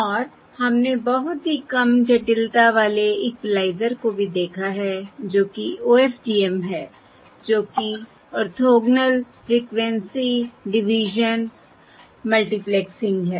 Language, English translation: Hindi, And we have also seen a very low complexity equaliser that is OFDM, that is Orthogonal Frequency Division, Multiplexing